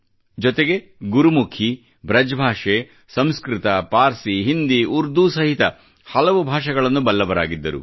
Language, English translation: Kannada, He was an archer, and a pundit of Gurmukhi, BrajBhasha, Sanskrit, Persian, Hindi and Urdu and many other languages